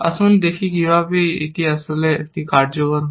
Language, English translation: Bengali, Let us see how it actually, executes this